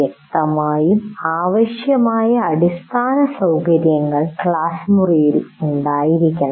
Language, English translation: Malayalam, And obviously the necessary infrastructure should exist in the classroom